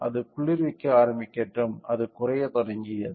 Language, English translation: Tamil, Let it start cooling so, started decreasing